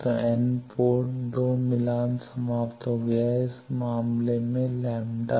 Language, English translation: Hindi, So, n port 2 is match terminated, in this case lambda